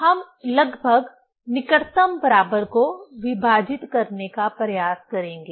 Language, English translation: Hindi, We will try to divide approximately, closest equal